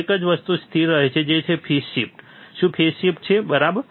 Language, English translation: Gujarati, One thing that remains constant is the phase shift, is the phase shift, right